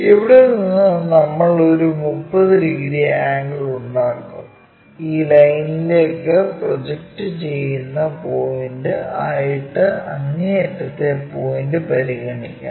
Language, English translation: Malayalam, So, what we will do is, from here we will make a 30 degree angle let us consider the point extreme point which is projected onto this line